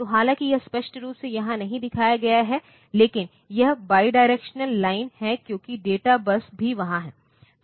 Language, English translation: Hindi, So, though it is not shown here explicitly, but this is the bidirectional line because the data bus is also there